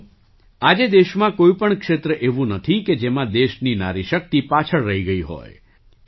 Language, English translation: Gujarati, Friends, today there is no region in the country where the woman power has lagged behind